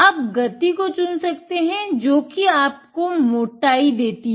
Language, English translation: Hindi, You can select the speed which give you the thickness